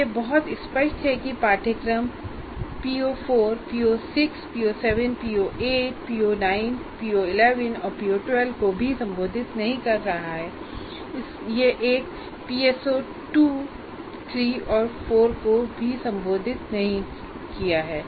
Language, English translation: Hindi, And it is very clear this particular course is not addressing PO4, PO6, PO 7, PO 8, PO 9 and PO11 and PO 12 as well, and PS4 3 4 are also not addressed